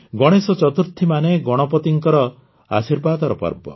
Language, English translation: Odia, Ganesh Chaturthi, that is, the festival of blessings of Ganpati Bappa